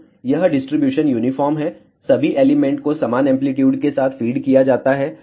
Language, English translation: Hindi, So, this is the distribution uniform all elements are fed with equal amplitude